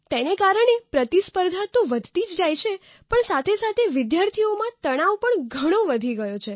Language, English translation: Gujarati, As a result, the competition has multiplied leading to a very high increase of stress in the students also